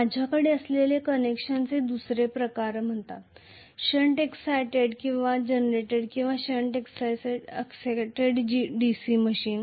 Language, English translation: Marathi, The second type of connection I may have is called shunt excited generator or shunt excited DC machine